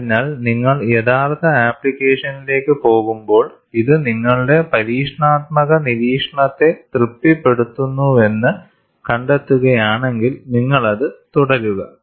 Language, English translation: Malayalam, So, when you go to actual application, if you find it satisfies your experimental observation, you carry on with it